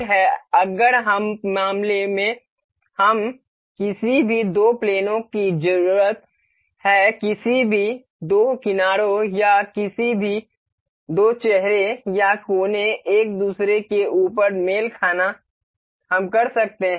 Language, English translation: Hindi, Coincidence mate is if we in case we need any two planes any two edges or any two faces or vertices to be coincide over each other we can do that